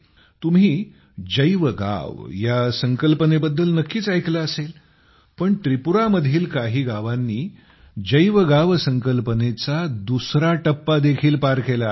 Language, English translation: Marathi, You must have heard about BioVillage, but some villages of Tripura have ascended to the level of BioVillage 2